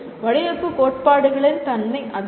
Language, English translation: Tamil, That is the nature of design theories